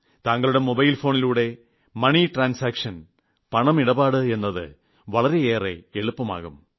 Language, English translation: Malayalam, It will become very easy to do money transactions through your mobile phone